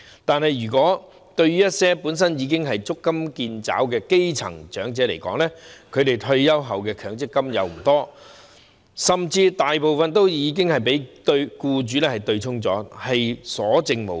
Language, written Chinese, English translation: Cantonese, 但是，對於一些本身已經足襟見肘的基層長者來說，他們退休後能取得的強制性公積金不多，甚至大部分已被僱主對沖，所餘無幾。, However some grass - roots elderly persons who are already living from hand to mouth cannot obtain much in Mandatory Provident Fund accrued benefits upon retirement for most of it might have even been offset by their employers with little left